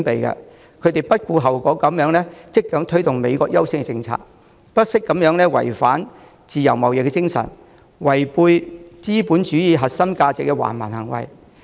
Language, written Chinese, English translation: Cantonese, 他不顧後果地積極推動美國優先政策，做出違反自由貿易精神、違背資本主義核心價值的橫蠻行為。, He actively promotes the America First policies regardless of consequences . He has done barbaric acts in contrary to the spirit of free trade and the core values of capitalism